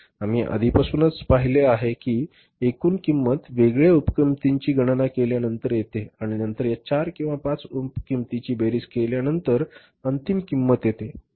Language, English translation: Marathi, We have seen already that the total cost is arrived at after calculating the different sub costs and then summing up these subcores, 4 or 5 sub costs we arrive at the final total cost